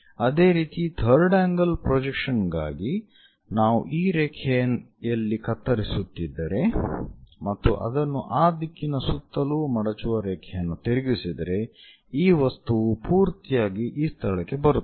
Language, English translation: Kannada, For third angle thing if we are making a scissor in this line and flip it a folding line around that direction, this entire object comes to this location